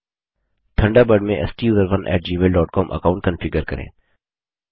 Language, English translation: Hindi, Enter the Email address as STUSERONE at gmail dot com